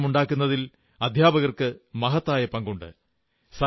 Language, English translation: Malayalam, The teacher plays a vital role in transformation